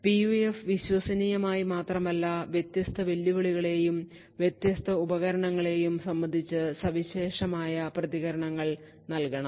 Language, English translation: Malayalam, The PUF should not only be reliable but also, should provide unique responses with respect to different challenges and different devices